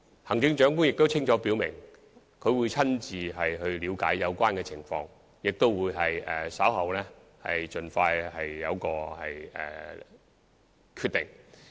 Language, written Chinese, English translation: Cantonese, 行政長官亦清楚表明會親自了解有關情況，稍後亦會盡快作出決定。, The Chief Executive has also indicated that she would personally look into the subject and a decision will be made as soon as possible later